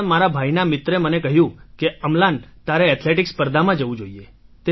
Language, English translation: Gujarati, But as my brother's friend told me that Amlan you should go for athletics competitions